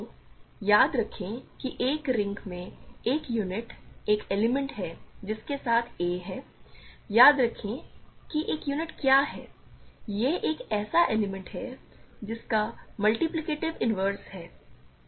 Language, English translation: Hindi, So, recall that a unit in a ring is an element with which has a, remember what is a unit, it is an element which has the multiplicative inverse